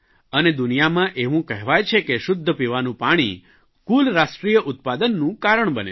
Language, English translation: Gujarati, World over it is said that potable water can contributing factor for GDP growth